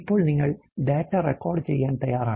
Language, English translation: Malayalam, Now, you are already to record the data